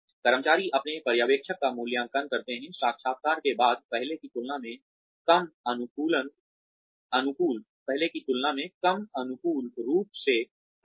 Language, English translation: Hindi, Employees tend to evaluate their supervisors, less favorably, after the interview, than before it